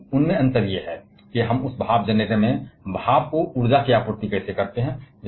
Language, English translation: Hindi, But their difference is, how we supply the energy to the steam in that steam generator